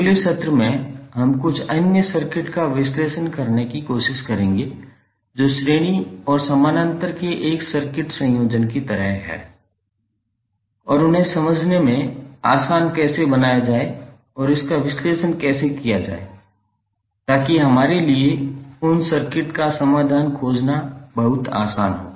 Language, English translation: Hindi, In next session we will to try to analyze some other circuits which are like a circuit combination of series and parallel and how to make them easier to understand and how to analyze so that it is very easy for us to find the solution of those circuits